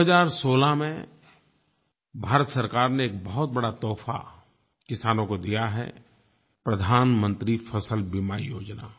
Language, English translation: Hindi, Government of India has given a very big gift to the farmers in 2016 'Pradhan Mantri Fasal Beema Yojana'